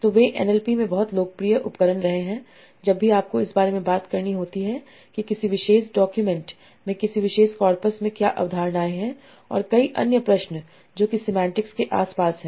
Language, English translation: Hindi, And they have been a very, very popular tools in an LP for whenever you have to talk about what are the concepts that are there in a particular document, in a particular corpus, and many other questions that surround that are around the semantics